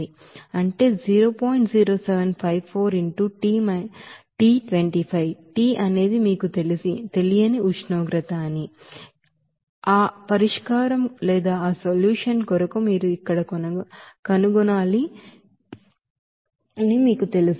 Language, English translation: Telugu, 0754 into T – 25, T is the temperature that you do not know, that you have to find out there for that solution